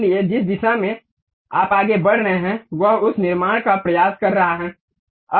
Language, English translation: Hindi, So, the direction along which you are moving it is try to construct that